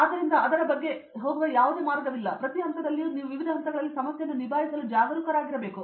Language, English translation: Kannada, So, there is no set way of going about it and you have to be alert at every stage to tackle the problem in different ways